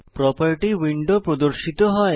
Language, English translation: Bengali, Property window opens